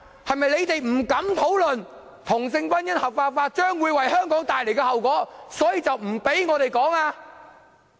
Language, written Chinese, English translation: Cantonese, 他們是否不敢討論同性婚姻合法化將會為香港帶來的後果，所以便不准我們討論？, Do they stop us from discussing the legalization of same - sex marriage because they dare not talk about its impact on Hong Kong?